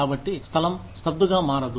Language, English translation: Telugu, So, the place, does not become stagnant